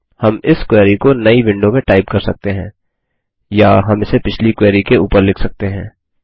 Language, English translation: Hindi, We can type this query in a new window, or we can overwrite it on the previous query